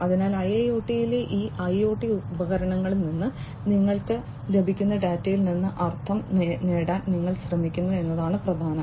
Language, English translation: Malayalam, So, what is important is that you try to gain meaning out of the data that you receive from these IoT devices in IIoT, right